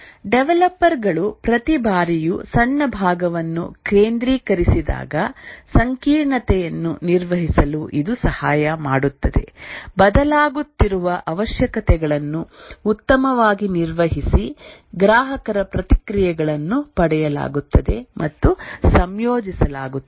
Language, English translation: Kannada, And since each time the developers focus each time on a small part, it helps in managing complexity, better manage changing requirements, customer feedbacks are obtained and incorporated